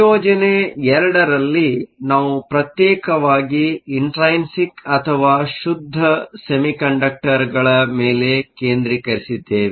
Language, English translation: Kannada, In assignment 2, we focused exclusively on intrinsic or pure semiconductors